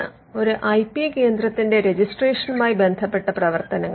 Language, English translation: Malayalam, Now, these are the registration related functions of an IP centre